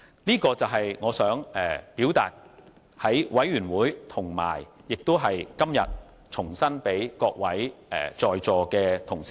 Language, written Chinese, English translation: Cantonese, 這便是我在小組委員會表達的看法，今天我想重申這點，讓在席各位同事知道。, This is the view I expressed in the Subcommittee and I wish to reiterate this point today so that the Members present in this Chamber will know about it